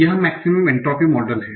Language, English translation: Hindi, So what is a maximum entropy model